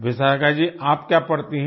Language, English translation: Hindi, Vishakha ji, what do you study